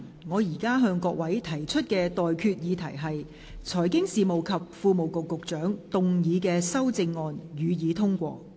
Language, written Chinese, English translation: Cantonese, 我現在向各位提出的待決議題是：財經事務及庫務局局長動議的修正案，予以通過。, I now put the question to you and that is That the amendment moved by the Secretary for Financial Services and the Treasury be passed